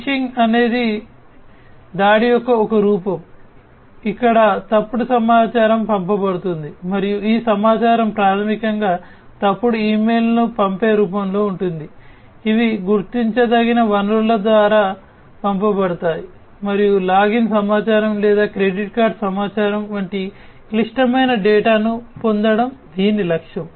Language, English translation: Telugu, Phishing is a form of attack where false information is sent, and these information are basically in the form of sending false emails, which have been sent through recognizable sources and the aim is to get critical data such as login information or credit card information and so on